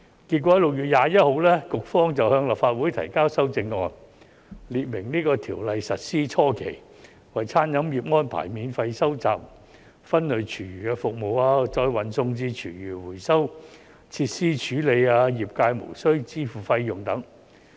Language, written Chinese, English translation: Cantonese, 結果 ，6 月21日，局方向立法會提交修正案，列明在這項條例實施初期為餐飲業安排免費收集分類廚餘服務，再運送至廚餘回收設施處理，業界無須支付費用等。, In the end the Bureau introduced amendments to the Legislative Council on 21 June specifying that among others in the initial period of implementing the Ordinance free collection service for separated food waste from the catering industry will be arranged for transportation to food waste recycling facilities and the industry is not required to pay any fees